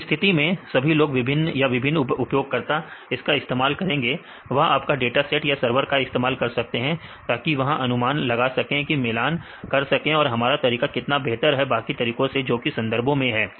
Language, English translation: Hindi, In this case everybody will can use several users right they can use your dataset, your server so that they can predict for near values and compare how far our method is better than other method in the literature